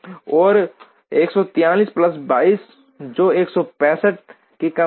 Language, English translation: Hindi, And 143 plus 22, which is 165 constraints